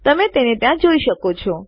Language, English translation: Gujarati, You can see that there